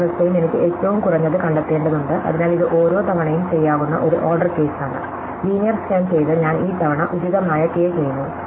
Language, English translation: Malayalam, So, each state I have to find the minimum, so it is an order k scan each time, so linear scan and I do this about k these times